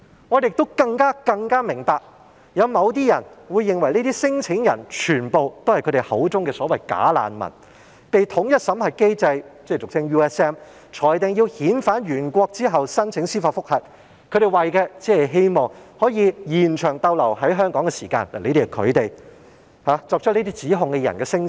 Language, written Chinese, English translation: Cantonese, 我們更明白，某些人認為這些聲請人，全部也是他們口中所謂的"假難民"，他們被統一審核機制裁定要遣返原國後申請司法覆核，只是為了希望延長逗留在香港的時間，但這些只是作出這些指控的人的聲稱。, Furthermore we understand that some people consider all such claimants to be as what they call them bogus refugees who applied for judicial reviews only in the hope of prolonging their stay in Hong Kong after they had been screened out under the unified screening mechanism USM and were pending repatriation to their countries of origin but these are only the claims of those making the allegations